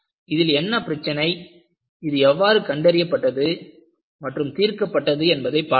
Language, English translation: Tamil, And we will see, what was the problem and how this was diagnosed and solved